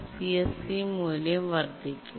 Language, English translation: Malayalam, So, the CSE value only increases